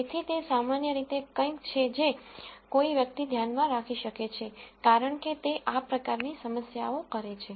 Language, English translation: Gujarati, So, that is in general something that one can keep in mind as one does these kinds of problems